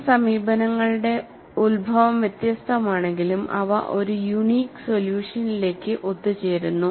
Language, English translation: Malayalam, Though, the origin of these approaches are different, they converge to a unique solution